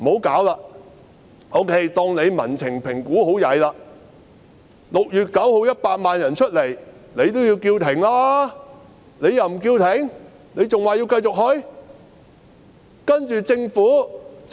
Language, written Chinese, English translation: Cantonese, 假設她對民情的評估做得很差 ，6 月9日有100萬人出來遊行後，她亦應該叫停吧？, Assuming she made a very poor assessment of the public sentiments but after 1 million people had taken to the streets on 9 June she should have called for a halt right?